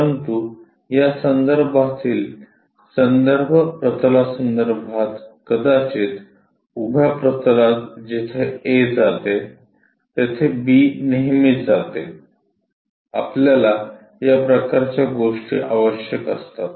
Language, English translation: Marathi, But with respect to a reference plane in this case maybe the vertical plane where exactly A goes, where exactly B goes; this kind of things we require